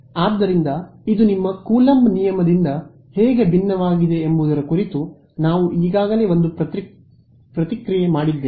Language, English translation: Kannada, So, we have already made one comment about how this is different from your Coulomb's law right ok